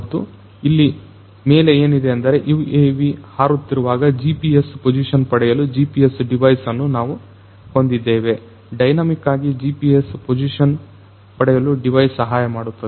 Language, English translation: Kannada, And on the top what you have is the GPS device for getting the GPS position while this UAV is on flight, getting the GPS position dynamically this particular device can help you do that